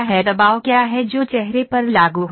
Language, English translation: Hindi, What is the pressure that is applying on the face